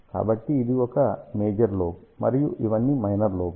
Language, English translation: Telugu, So, this is a major lobe and these are all the minor lobes are there